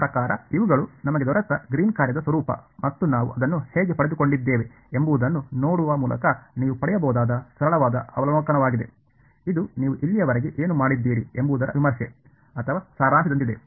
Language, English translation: Kannada, I mean these are just sort of simple observation you can get by looking at the form of the Green’s function that we got and how we derived it ok, it is more like a review or summary of what you’ve done so far ok